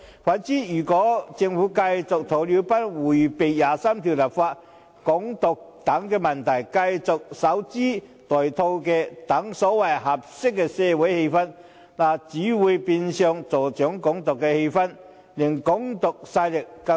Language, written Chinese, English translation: Cantonese, 相反，如果政府繼續如鴕鳥般迴避第二十三條立法、"港獨"等問題，繼續守株待兔，等待所謂"合適的社會氛圍"，只會變相助長"港獨"氣焰，令"港獨"勢力更囂張。, Conversely if the Government continues to act like an ostrich and evade issues like the legislation for Article 23 and Hong Kong independence and adopt an wait - and - see attitude for the so - called appropriate social atmosphere it will only give fuel to Hong Kong independence encouraging it to become even more rampant